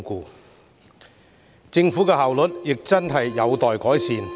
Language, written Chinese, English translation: Cantonese, 此外，政府的效率亦有待改善。, In addition the Government should also enhance its efficiency